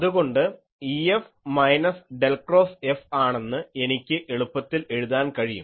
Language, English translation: Malayalam, So, I can easily write that E F will be minus del cross F because F is known